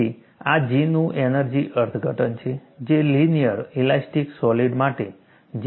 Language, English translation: Gujarati, So, this is the energy interpretation of G, which is same as J for a linear elastic solid